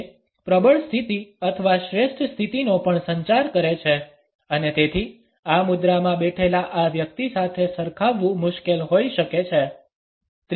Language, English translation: Gujarati, It also communicates a dominant position or a superior position and therefore, it may be difficult to relate to this person who is sitting in this posture